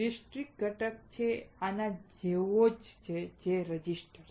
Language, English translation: Gujarati, Discrete component are, say like this: a resistor